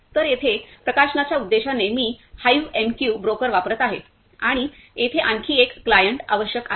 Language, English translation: Marathi, So, here for publishing purpose, I am using the HiveMQ broker and there is another client is required over here